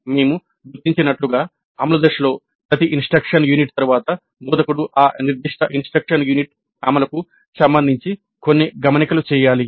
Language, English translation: Telugu, As we noted during implementation phase, after every instructional unit the instructor must make some notes regarding that particular instruction units implementation